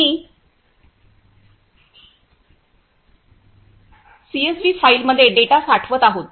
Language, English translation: Marathi, We are storing the data in CSV file